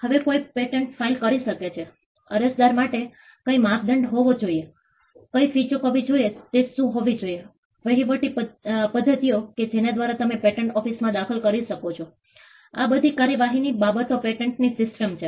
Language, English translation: Gujarati, Now, who can file a patent, what should be the criteria for an applicant, what should be the fees that should be paid, what are the administrative methods by which you can intervene in the patent office, these are all procedural aspects of the patent system